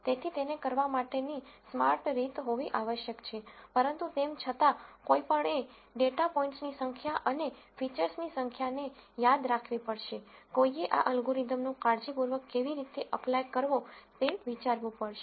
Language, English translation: Gujarati, So, there must be smarter ways of doing it, but nonetheless one has to remember the number of data points and number of features, one has to think how to apply this algorithm carefully